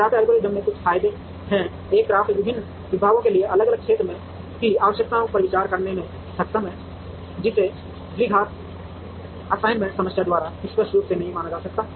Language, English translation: Hindi, CRAFT algorithm has a couple of advantages one is CRAFT is able to consider different area requirements for different departments, which was not explicitly considered by the quadratic assignment problem